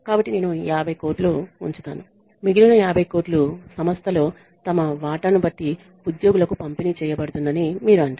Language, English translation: Telugu, So, you say I will keep 50 crores and the rest of the 50 crores will be distributed to the employees depending on their stake in the organization